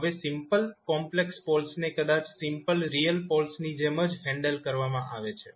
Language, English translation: Gujarati, Now, simple complex poles maybe handled the same way, we handle the simple real poles